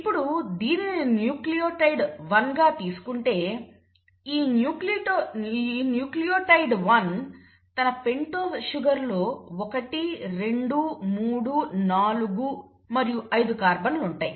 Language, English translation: Telugu, Now we know that each nucleotide, so let us say this is nucleotide 1; now this nucleotide 1 in its pentose sugar has the first, the second, the third, the fourth and the fifth carbon